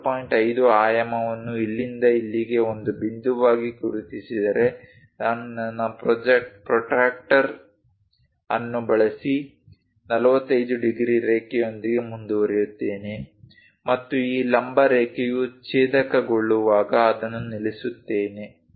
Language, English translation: Kannada, 5 dimension from here to here as a point then, I go ahead using my protractor with 45 degrees line and stop it when it is these vertical line going to intersect